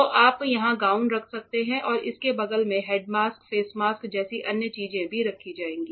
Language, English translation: Hindi, So, you can keep the gowns here and other things like head mask, face mask also will be kept next to it